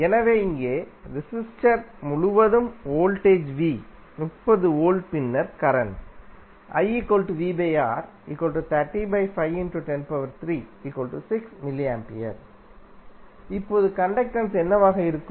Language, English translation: Tamil, So, here voltage across the resistor V is 30 volt then current I would be V by R